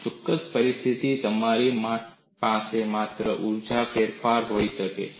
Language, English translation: Gujarati, In a particular situation, you may have only change of strain energy